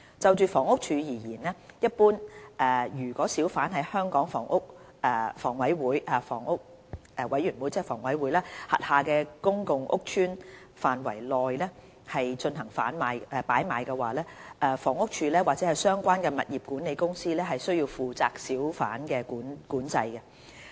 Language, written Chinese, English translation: Cantonese, 就房屋署而言，一般而言，如小販在香港房屋委員會轄下的公共屋邨範圍內進行擺賣，房屋署或相關物業管理公司須負責小販管制。, As far as HD is concerned in general if hawkers are hawking in public housing estates under the Housing Authority HA HD or the relevant property management companies are responsible for hawker control therein